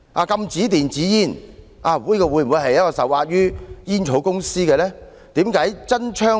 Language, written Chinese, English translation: Cantonese, 禁止電子煙，會否因為政府受壓於煙草公司呢？, Are e - cigarettes banned because the Government is under pressure from tobacco companies?